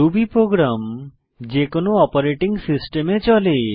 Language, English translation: Bengali, Ruby program runs in any operating system